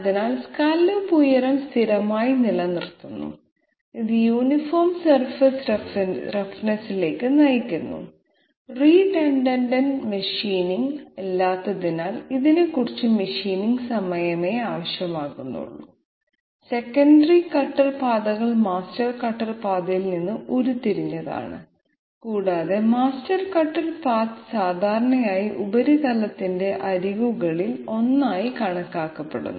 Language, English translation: Malayalam, So scallop height is kept constant, which leads to uniform surface roughness, this requires less machining time because there is no redundant machining, secondary cutter paths are derived from master cutter path and the master cutter path is generally taken to be one of the edges of the surface